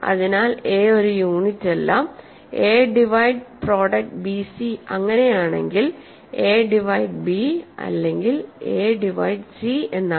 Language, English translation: Malayalam, So, if a is not a unit and if a divides a product bc then a divides b or a divides c, right